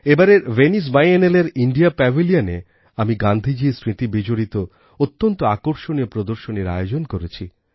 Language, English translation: Bengali, This time, in the India Pavilion at the Venice Biennale', a very interesting exhibition based on memories of Gandhiji was organized